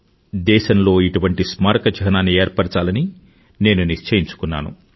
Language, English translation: Telugu, And I took a resolve that the country must have such a Memorial